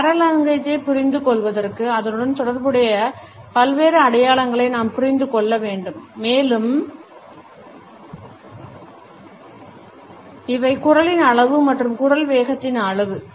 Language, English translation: Tamil, In order to understand paralanguage we have to understand different signs associated with it and these are volume of voice speed of voice etcetera